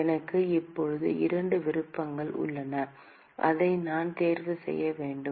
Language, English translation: Tamil, I have two options now, which one should I choose